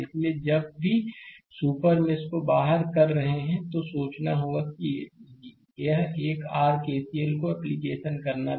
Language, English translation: Hindi, So, whenever you are excluding the super mesh then you have to you have to think that one your KCL had I have to apply